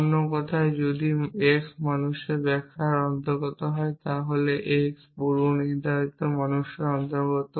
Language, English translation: Bengali, In other words if x belongs to man interpretation, then x belongs to predicate man